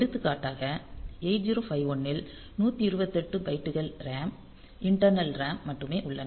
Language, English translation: Tamil, For example, 8 0 5 1 it has got only 128 bytes of RAM internal RAM